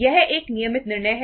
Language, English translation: Hindi, Itís a routine decision